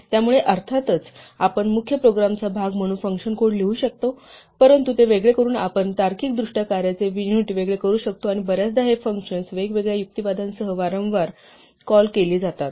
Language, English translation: Marathi, So of course, we could write the function code as part of the main program, but by isolating it we can logically separate out units of work and very often these functions are called repeatedly with different arguments